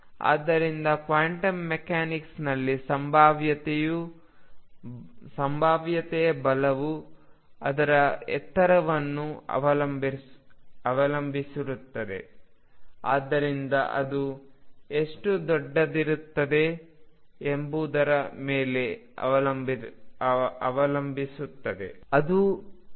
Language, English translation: Kannada, So, in quantum mechanics the strength of the potential depends not only is on its height, but also how far it is extended